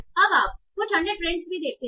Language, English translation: Hindi, Now, so yeah, so you can see some other trends also